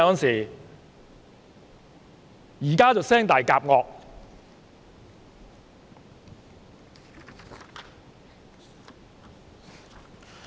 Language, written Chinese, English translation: Cantonese, 現在就"聲大夾惡"。, Now he is speaking loudly with a stern face